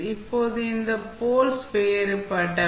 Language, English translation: Tamil, Now, these poles are distinct